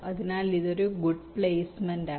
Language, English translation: Malayalam, so this is a good placements